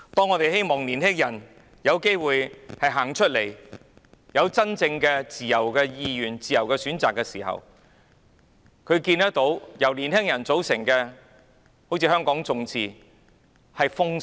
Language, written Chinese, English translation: Cantonese, 我們希望年輕人有機會走出來，按照自由意願行事，作出自由選擇，但我們看到由年輕人組成的團體，例如香港眾志被政府封殺。, We hope that young people can have the opportunity to go out act according to their wishes and make free choices . However organizations formed by young people such as the Demosistō are banned by the Government